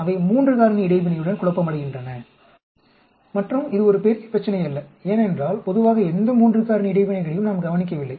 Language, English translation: Tamil, Same thing for the main effects also they are confounded with 3 factor interaction and that is not a big problem because generally we do not observe any 3 factor interacting